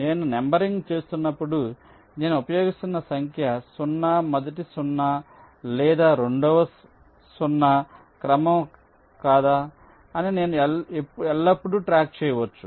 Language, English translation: Telugu, when i am doing the numbering, i can always keep track of whether the number zero that i am using is the first zero or or the second zero in the sequence